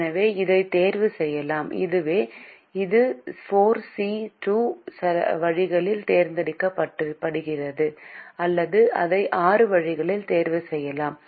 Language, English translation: Tamil, so it can be chosen in, so it be chosen in four c two ways, or it can be chosen in six ways